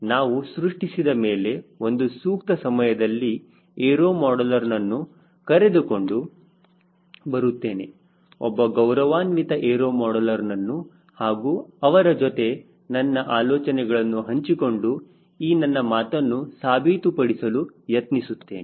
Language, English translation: Kannada, after we build up our self, as appropriate time, i will bring a aero modeler, what is respectful aero modeler and share some some thoughts with him to prove my ah point